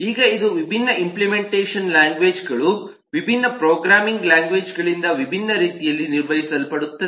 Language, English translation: Kannada, now this is something which is specifically handled in different ways by different implementation languages, different programming languages, particularly